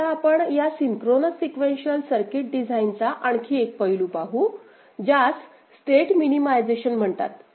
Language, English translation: Marathi, Now, we look at another aspect of this synchronous sequential circuit design which is called state minimization